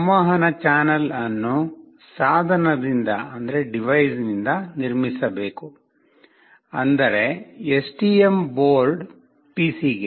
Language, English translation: Kannada, The communication channel must be built from the device, that is the STM board, to the PC